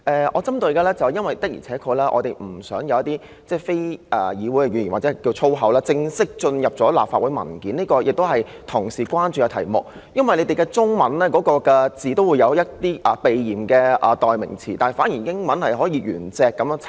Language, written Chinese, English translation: Cantonese, "我要特別指出的是，我們確實不想有一些非議會語言或所謂粗口正式進入立法會文件，這亦是同事關注的事宜，因為文件中的中文用語也有一些避嫌的代用詞，反而英文卻可以按原字輯錄。, I wish to highlight that we really do not want some unparliamentary language or so - called swear words to be officially put in Legislative Council papers . It is also a matter of concern to Honourable colleagues that while there are some substitutes for the Chinese expressions in the paper to avoid suspicion the original words can be reported in English